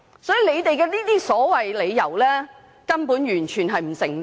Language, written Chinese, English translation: Cantonese, 所以政府的理由完全不成立。, So the reasons given by the Government were totally untenable